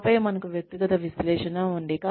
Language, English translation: Telugu, And then, we have individual analysis